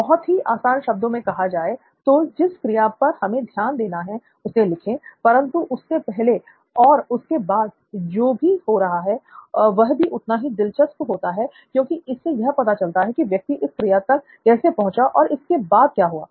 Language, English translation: Hindi, So just to be very simple write down the activity that they are trying to map, so what happens before and after is also equally interesting because you want to find out how this person got around to doing this activity and what happens after the activity is done